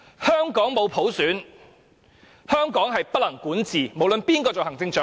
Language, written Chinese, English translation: Cantonese, 香港沒有普選，香港便不能管治——不論是誰做行政長官。, Hong Kong is ungovernable if Hong Kong has no universal suffrage―regardless of who is the Chief Executive